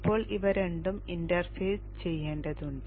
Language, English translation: Malayalam, Now these two need to be interfaced